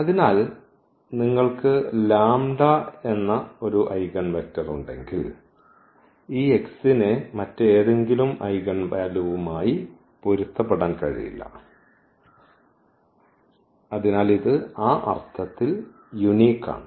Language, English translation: Malayalam, So, if you have an eigenvector corresponding to let us say the lambda, then this x cannot correspond to any other eigenvalue, so it is a unique in that sense